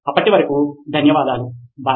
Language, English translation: Telugu, Thank you then, bye